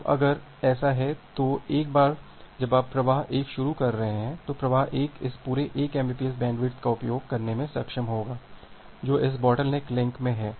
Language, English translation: Hindi, Now, if that is the case, then once you are starting flow 1, then flow 1 will be able to use this entire 1 mbps bandwidth which is there in this bottleneck link